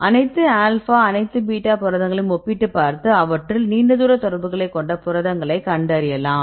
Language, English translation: Tamil, If you compare the all alpha proteins and the all beta proteins which one have more number of long range contacts